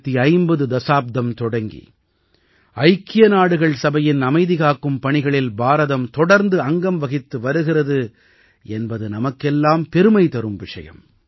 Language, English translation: Tamil, We are proud of the fact that India has been a part of UN peacekeeping missions continuously since the 1950s